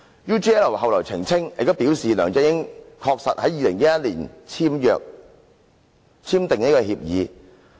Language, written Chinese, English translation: Cantonese, UGL 後來澄清及表示，梁振英確實在2011年簽訂協議。, UGL later clarified and stated that LEUNG Chun - ying actually signed the agreement in 2011